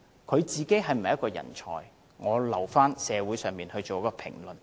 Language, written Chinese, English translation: Cantonese, 他是否人才，我留待社會作出評論。, Whether or not he is a talent I leave the judgment to society